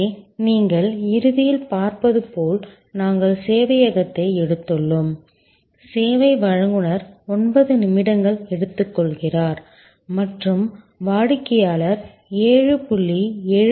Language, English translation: Tamil, And here as you see at the end we have taken the server, the service provider is taking 9 minutes and the customer is in the process for 7